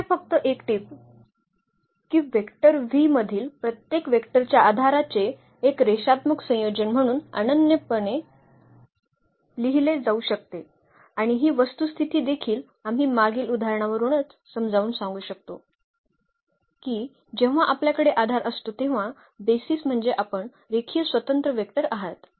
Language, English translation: Marathi, Just a note here that every vector in V can be written uniquely as a linear combination of the basis of vectors and this fact also we can explain from the previous example itself, that when we have the base is there; the basis means you are linearly independent vectors